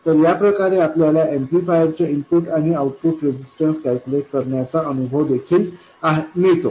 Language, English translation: Marathi, So this also kind of gives us an experience of calculating input and output resistances of amplifiers